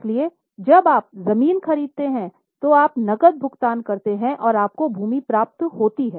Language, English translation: Hindi, So, when you purchase land you pay cash you receive land